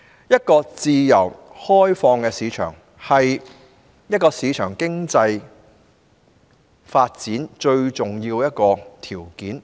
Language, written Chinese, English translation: Cantonese, 一個自由開放的市場，是市場經濟發展最重要的條件之一。, The availability of a liberalized market is among the essential prerequisites for the development of market economy